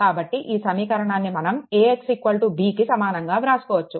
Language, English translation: Telugu, So, this equation it can be written as AX is equal to B